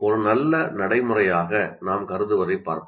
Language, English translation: Tamil, Now let us look at what we consider as a good practice